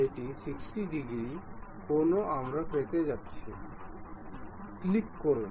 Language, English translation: Bengali, It is 60 degrees angle we are going to have, click ok